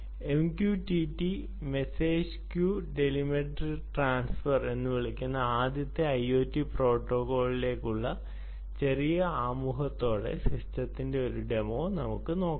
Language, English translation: Malayalam, let us see a demonstration of the system ah in small bits and pieces, with the small introduction to the first i o t protocol, which is called m q t t message queue telemetry transfer